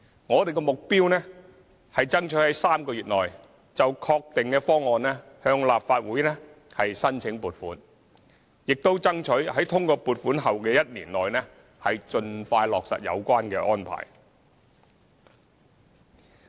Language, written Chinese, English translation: Cantonese, 我們的目標是爭取在3個月內就確定的方案向立法會申請撥款，亦爭取在通過撥款後的1年內盡快落實有關安排。, We aim at seeking funding approval for the finalized Scheme from the Legislative Council in the next three months and plan to roll out the Scheme within a year upon obtaining funding approval